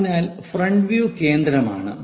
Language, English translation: Malayalam, So, front view is the central one